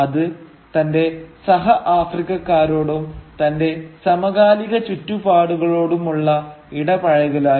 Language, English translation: Malayalam, It is also about engaging with the fellow Africans and with the contemporary African milieu